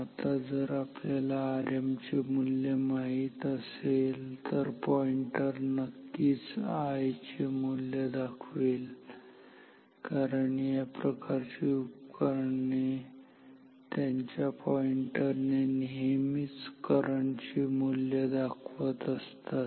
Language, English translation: Marathi, Now, if we know the value of R m, the pointer will of course, indicate the value of I, because this type of instruments in their pointer always indicate the value of the current